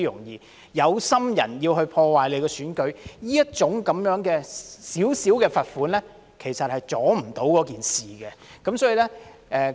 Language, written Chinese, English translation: Cantonese, 有心人要破壞選舉，這小小的罰款，其實無法阻礙事情的發生。, For those who want to interfere with the election such a meager fine cannot stop things from happening